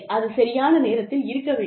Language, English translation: Tamil, It has to be timely